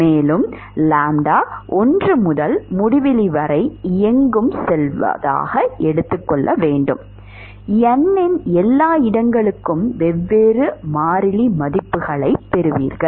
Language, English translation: Tamil, And, as lambda goes from anywhere between 1 to infinity, you will get different values of constant for everywhere of n